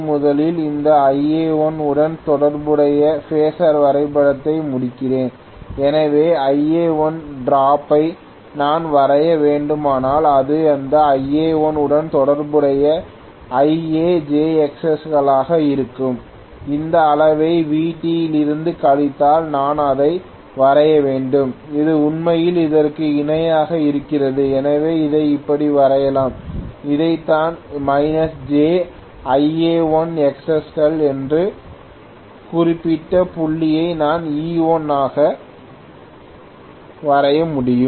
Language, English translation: Tamil, Let me first of all complete the phasor diagram corresponding to this Ia1, so if Ia1 if I have to draw the drop it is going to be Ia times j Xs corresponding to this Ia1 here, if I subtract this quantity from Vt which I have to draw it like this which is actually parallel to this, so let me draw it like this, this is what is minus j Ia1 Xs then I should be able to draw this particular point as E1